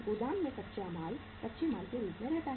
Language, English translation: Hindi, Raw material remains as raw material in the warehouse